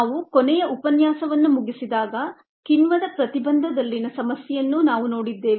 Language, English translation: Kannada, when we finished up the last lecture we had looked at ah problem on in enzyme inhibition ah